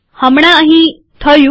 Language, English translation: Gujarati, Just happened here